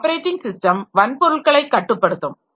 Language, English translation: Tamil, One thing is controlling the hardware